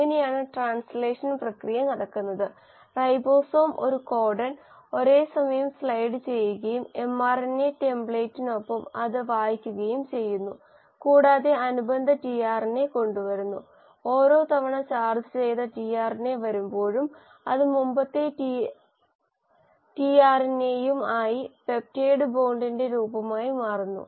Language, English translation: Malayalam, So this is how the process of translation happens and the ribosome keeps sliding one codon at a time and along the mRNA template and reads it, brings in the corresponding tRNA and every time the charged tRNA comes, it then forms of peptide bond with the previous tRNA and hence the polypeptide chain keeps on getting elongated